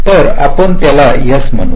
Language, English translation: Marathi, lets call it s